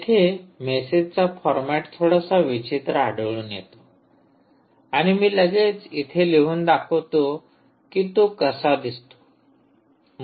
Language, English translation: Marathi, the message format appears a little strange and maybe i should quickly write down how it looks